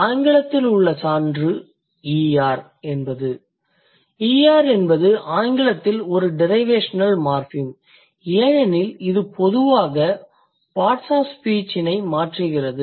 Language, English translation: Tamil, ER, that's a derivational morphem in English because it generally changes the parts of speech